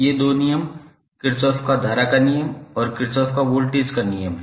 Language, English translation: Hindi, These two laws are Kirchhoff’s current law and Kirchhoff’s voltage law